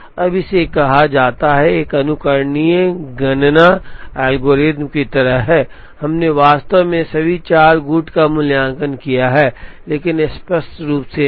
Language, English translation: Hindi, Now, this is called, is like an Implicit Enumeration algorithm, we have actually evaluated all the four factorial, but not explicitly